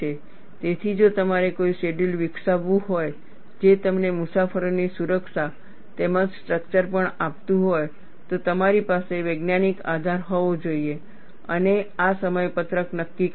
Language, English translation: Gujarati, So, if you have to develop a schedule, which is also going to give you safety for the passengers, as well as the structure, you have to have a scientific basis and decide these schedules